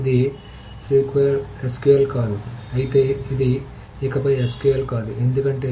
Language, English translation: Telugu, It's not not SQL